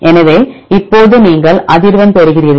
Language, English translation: Tamil, So, now you get the frequency